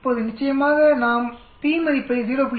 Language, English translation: Tamil, Now of course we can put a p value of 0